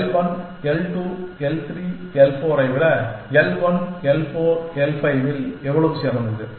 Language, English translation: Tamil, How much is the saving, how much is l 1 l 4 l 5 better than l 1 l 2 l 3 l 4